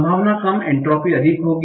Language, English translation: Hindi, So the probability is low, entropy will be high